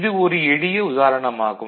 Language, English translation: Tamil, So, that was a very simple example